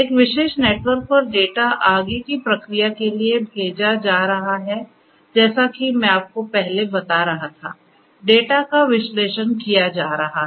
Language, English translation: Hindi, Data over a particular network are going to be sent for further processing as I was telling you earlier; the data are going to be analyzed